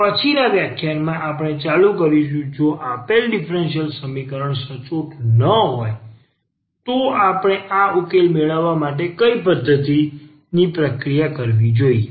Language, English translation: Gujarati, And in the next lecture we will continue if the given differential equation it not exact then what method we should process to get this solution